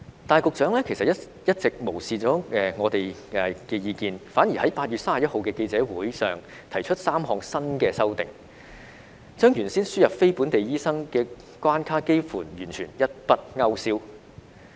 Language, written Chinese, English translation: Cantonese, 但是，局長一直無視我們的意見，反而在8月31日的記者會上提出3項新的修訂，將原先輸人非本地培訓醫生的關卡幾乎完全一筆勾消。, However the Secretary has been ignoring our views and proposed three new amendments at the press conference on 31 August which almost completely removing the original barrier for admission of NLTDs